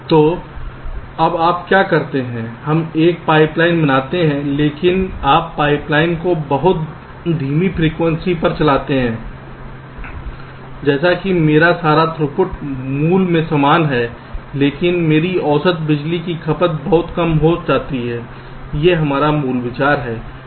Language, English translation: Hindi, we make a pipe line, all right, but you run the pipe line at a much slower frequency, such that my over all throughput remains the same as the original, but my average power consumption drastically reduces